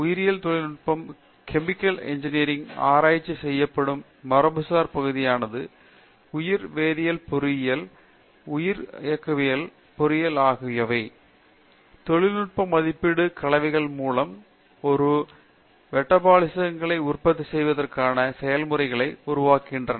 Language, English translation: Tamil, Traditional area of research in Chemical Engineering in terms of biotechnology is biochemical engineering, bioprocess engineering to develop process for production of certain metabolites cum industrial valued compounds